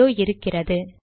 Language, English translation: Tamil, There you are